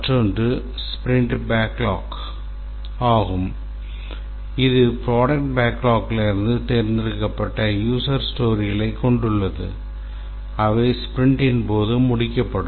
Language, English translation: Tamil, The sprint backlog, these are the selected user stories from the product backlog that will be completed during the sprint